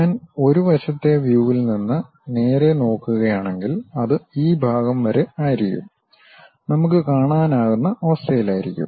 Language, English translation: Malayalam, If I am straight away looking from side view, it will be up to this portion we will be in a position to see